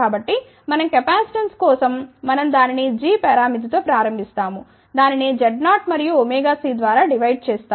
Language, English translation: Telugu, So, for capacitance what we do, we start with the g parameter we divide that by Z 0 and omega c